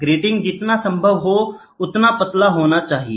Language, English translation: Hindi, The gratings can be as thin as possible